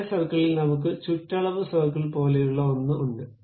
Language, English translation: Malayalam, In the same circle, there is something like perimeter circle we have